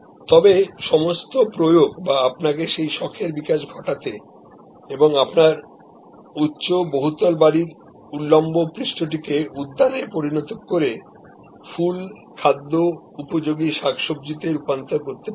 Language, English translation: Bengali, But, all the implements that will allow you to develop that hobby and convert the barren vertical surface of your high rise building in to a garden growing flowers, vegetables for productive consumption